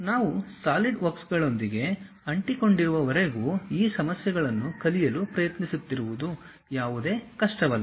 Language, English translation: Kannada, As long as we are sticking with Solidworks trying to learn these issues are not really any hassle thing